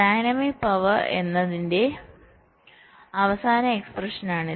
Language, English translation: Malayalam, this is the final expression for dynamics power, right